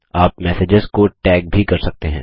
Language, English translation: Hindi, You can also tag messages